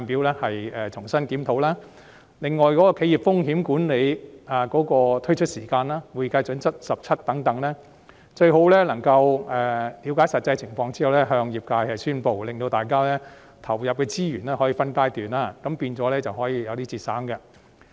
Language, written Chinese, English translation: Cantonese, 此外，有關就企業風險管理推出時間表、《國際財務報告準則第17號保險合同》等，當局最好在了解實際情況後向業界宣布，令大家可分階段投入資源，這樣便可節省資源。, In addition regarding the timetable for introducing enterprise risk management International Financial Reporting Standard 17 Insurance Contracts etc it is desirable for the authorities to inform the industry of the actual circumstances after making clarifications so that the industry can commit resources in phases to achieve savings